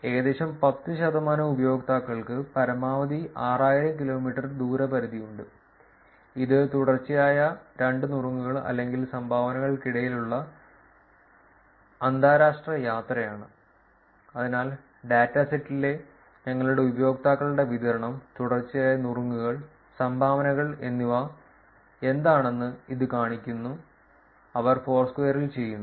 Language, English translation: Malayalam, And about ten percent of the users have a maximum displacement of about 6000 kilometers, this is probably international travel between two consecutive tips or dones, so that shows what is the distribution of the users who we have in the dataset, the consecutive tips and dones that they do on Foursquare